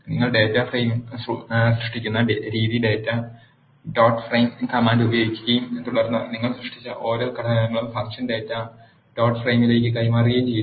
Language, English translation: Malayalam, The way you create the data frame is use the data dot frame command and then pass each of the elements you have created as arguments to the function data dot frame